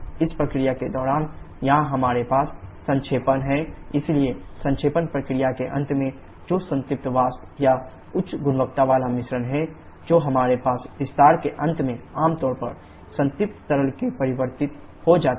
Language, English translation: Hindi, During this process, here we have the condensation, so at the end of the condensation process that saturated vapour or high quality mixture that we had at the end of expansion get converted to generally saturated liquid